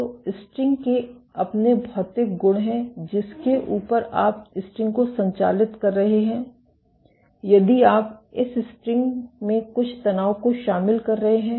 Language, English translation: Hindi, So, the string has its own material properties on top of which you are tensing the string, you are adding some tension in this string